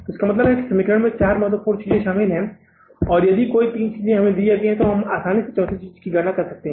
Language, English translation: Hindi, You can miss this equation involves four important things and if any three things are given to us, we can easily calculate the fourth thing